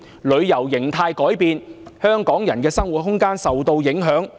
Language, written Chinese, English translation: Cantonese, 旅遊形態改變，香港人的生活空間受到影響。, The change in travel pattern has affected the living space of Hong Kong people